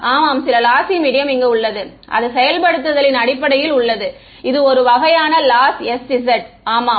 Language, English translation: Tamil, Some lossy medium yeah in terms of implementation it is a kind of a lossy s z yeah